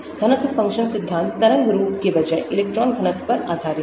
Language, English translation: Hindi, density function theory is based on electron density rather than wave form